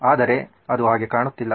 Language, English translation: Kannada, It doesn’t look like it